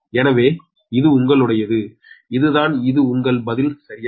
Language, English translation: Tamil, so this is your, this is the, this is your answer, right